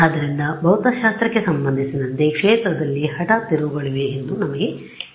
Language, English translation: Kannada, So, we know that that as far as physics is concerned there is an abrupt turns on the field